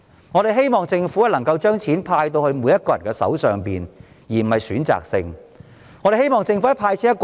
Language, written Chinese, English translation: Cantonese, 我們希望政府能夠把錢派發到每個人手上，而不是選擇性地"派錢"。, We hope the Government will distribute money to all people instead of being selective in disbursing money